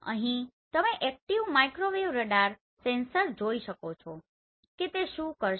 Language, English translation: Gujarati, Here you can see the active microwave radar sensors what they will do